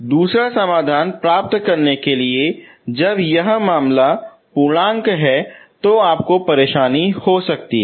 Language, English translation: Hindi, So to get the other solution when it is an integer case you may have trouble